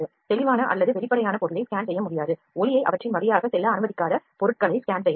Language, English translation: Tamil, The object that are clear or transparent cannot be scan scanned, the objects that do not let the light to pass through them can be scanned